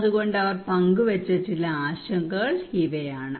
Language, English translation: Malayalam, So these are some of the concern they shared